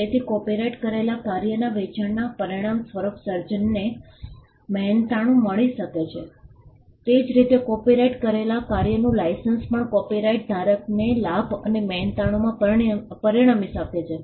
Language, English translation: Gujarati, So, the sale of a copyrighted work can result in remuneration for the creator similarly licence of copyrighted work can also result in a gain or a remuneration for the copyright holder